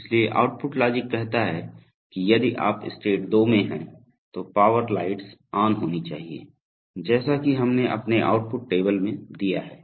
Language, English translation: Hindi, So the output logic says that if you are in state 2 then power lights which should be on, as we have given in our output table